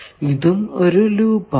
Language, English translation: Malayalam, Is there any loop